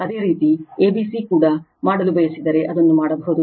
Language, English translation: Kannada, If you want to make a c b also, it can be done